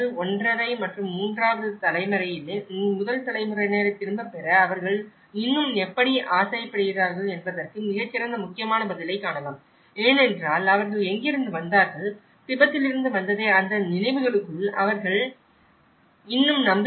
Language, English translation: Tamil, 5 and third generation, we can see a very good important response that how they still aspire to go back the first generation because they still believes within those memories of what they have when they have come from, back from Tibet and in the first and the 1